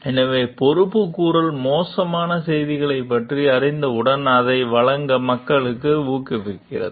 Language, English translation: Tamil, So, accountability encourages people to deliver the bad news as soon as they learn about it